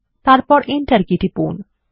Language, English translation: Bengali, Then press the Enter key